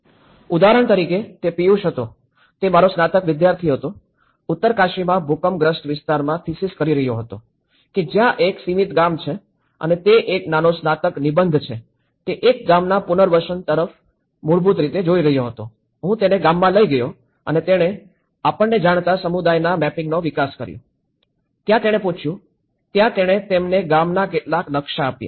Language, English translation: Gujarati, Like for example, he was my Piyush, he was my bachelor student was doing a thesis in earthquake affected area in Uttarkashi, itís a bound village so, to and itís a small bachelor dissertation, he was looking at the resettlement of a village and then the way he was looking at it is basically, I took him to the village and he developed the community mapping you know, there he asked, he gave them some maps of the village